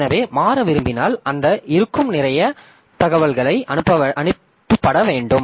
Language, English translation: Tamil, So, if we want to switch then a lot of information are to be sent